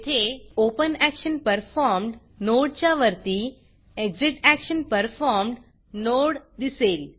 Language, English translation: Marathi, Here, you can see the ExitActionPerformed node appearing above the OpenActionPerformed node